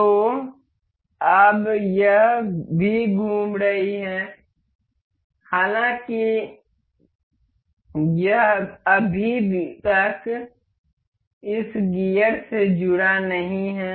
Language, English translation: Hindi, So, now, this is also in rotating; however, this is not yet linked with this gear